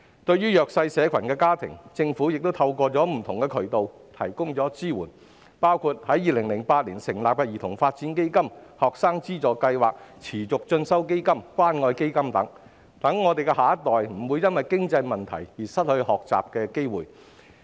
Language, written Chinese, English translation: Cantonese, 對於弱勢社群家庭，政府已透過不同渠道提供支援，包括在2008年成立的兒童發展基金、學生資助計劃、持續進修基金和關愛基金等，讓我們的下一代不會因經濟問題而失去學習機會。, For disadvantaged families the Government has been providing support through various means including the Child Development Fund set up in 2008 financial assistance schemes for students the Continuing Education Fund and the Community Care Fund . Therefore our next generation will not be deprived of learning opportunities due to financial problems